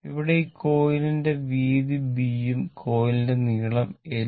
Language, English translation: Malayalam, This is the length of the coil right